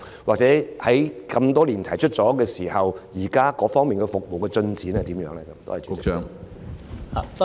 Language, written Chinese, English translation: Cantonese, 或者，多年前提出有關建議後，現時該項服務有何進展？, Alternatively what is the current progress of the provision of helicopter service proposed some years ago?